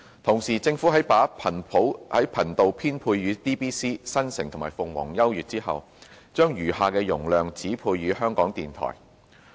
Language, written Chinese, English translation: Cantonese, 同時，政府在把頻道編配予 DBC、新城及鳳凰優悅後，將餘下的容量指配予香港電台。, Channels were at the same time allocated to DBC Metro and Phoenix U with the remaining spectrum capacity assigned to Radio Television Hong Kong RTHK